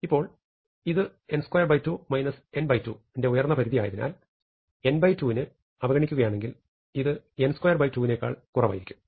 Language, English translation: Malayalam, Now, since it is an upper bound n squared by 2 minus n by 2, if I ignore n by 2, this is going to be less than n squared by 2